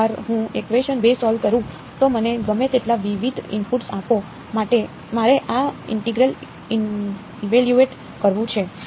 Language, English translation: Gujarati, Once I solve equation 2 give me any number of different inputs all I have to do is evaluate this integral right